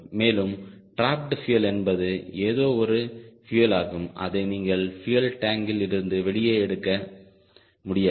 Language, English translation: Tamil, and the trapped fuel is some fuel which you cannot take it out from the fuel tank